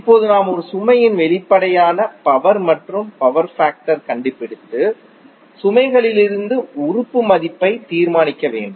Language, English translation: Tamil, Now we have to find out the apparent power and power factor of a load and determined the value of element from the load